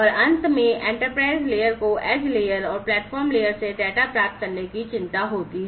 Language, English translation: Hindi, And finally, the enterprise layer concerns receiving data flows from the edge layer and the platform layer